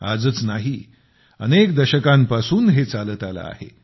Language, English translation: Marathi, And this is not about the present day; it is going on for decades now